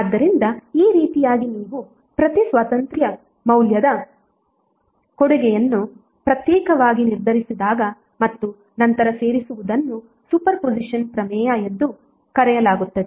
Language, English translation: Kannada, So in this way when you determine the contribution of each independence source separately and then adding up is called as a super position theorem